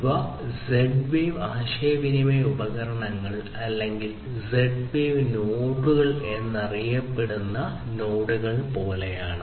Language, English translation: Malayalam, So, these are like these Z wave communication devices or the Z wave nodes commonly known as Z wave nodes